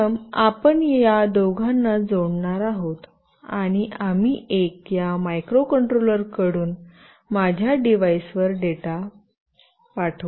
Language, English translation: Marathi, First we will just connect these two, and we will send a data from this microcontroller to my device